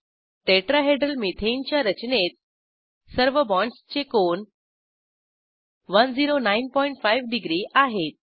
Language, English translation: Marathi, In Tetrahedral methane structure, all the bond angles are equal to 109.5 degree